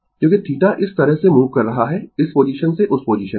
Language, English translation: Hindi, Because theta is moving like this from this position to that position